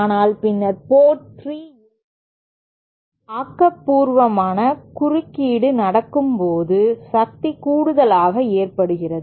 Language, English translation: Tamil, But then at port 3, where constructive interference happens, there there is addition of power